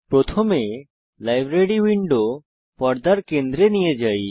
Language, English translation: Bengali, * First, lets move the Library window to the centre of the screen